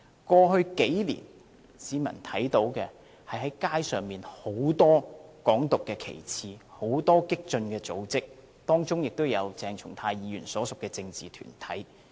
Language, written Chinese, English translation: Cantonese, 過去數年，市民只看到街上很多"港獨"的旗幟、很多激進組織，當中包括鄭松泰議員所屬的政治團體。, In the past few years what people have seen on the street has only been lots of banners of Hong Kong independence and many radical organizations including the political group to which Dr CHENG Chung - tai belongs to